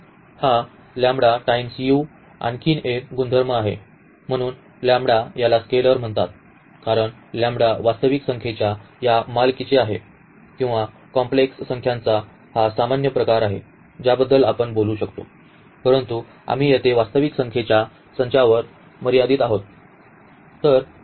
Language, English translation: Marathi, Another property that this lambda times u, so, the lambda which is called is scalar because lambda belongs to this set of real numbers or little more general this set of complex numbers we can talk about, but we are restricting to the set of real numbers here